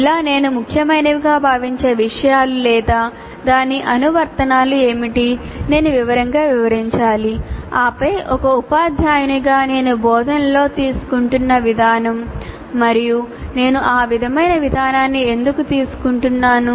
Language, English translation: Telugu, Like what are the things that I consider important or its applications, whatever assumptions that I am making I should explain in detail and then the approach that as a teacher I am taking in the instruction and why am I taking that kind of approach thereof